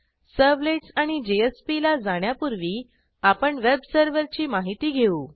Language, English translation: Marathi, Before moving onto Servlets and JSP, let us first understand a web server